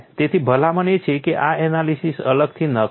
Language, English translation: Gujarati, So, the recommendation is do not do these analysis separately